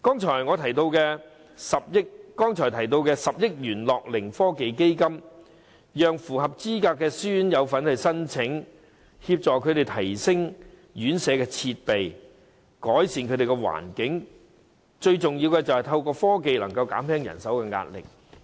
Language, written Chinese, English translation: Cantonese, 至於我剛才提到10億元的樂齡科技基金，當局應讓符合資格的私營院舍申請，協助院舍提升設備，改善環境，最重要的是透過科技減輕人手壓力。, Regarding the 1 billion gerontech fund which I mentioned earlier the authorities should allow applications from qualified self - financing RCHEs . They may use the fund to upgrade their facilities and enhance the environment in residential homes and most important of all to alleviate the manpower pressure with the help of technology